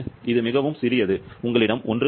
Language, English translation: Tamil, This extremely small, you have only 1